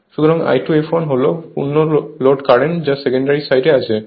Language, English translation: Bengali, So, I 2 f l is the full load current that is on the secondary side right